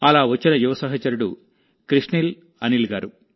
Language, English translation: Telugu, Such as young friend, Krishnil Anil ji